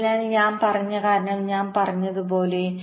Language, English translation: Malayalam, so, as i have said, the reason i have mentioned